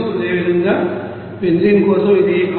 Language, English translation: Telugu, Similarly for benzene it is coming 6